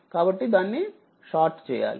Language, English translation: Telugu, So, it is short right